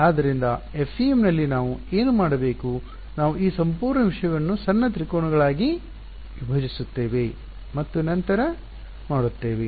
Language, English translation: Kannada, So, what is what do we have to do in the FEM, we will be breaking this whole thing into little triangles right all over and then doing